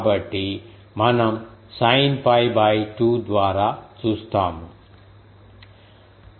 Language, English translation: Telugu, So, we will see sin pi by 2 so, I m